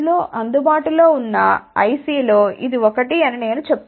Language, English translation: Telugu, I am just telling that this is one of the IC available